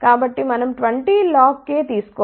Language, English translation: Telugu, So, we have to take 20 log of k